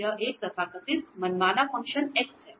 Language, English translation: Hindi, This is a so called arbitrary function of x